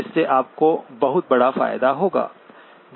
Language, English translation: Hindi, So that gives you a huge advantage